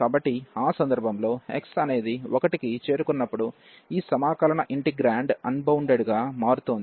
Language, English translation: Telugu, And also when x is approaching to 1, this integrand is getting unbounded